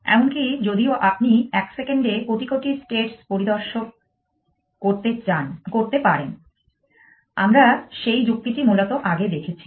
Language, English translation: Bengali, Even if you could inspector billions states in a second, we have seen that argument earlier essentially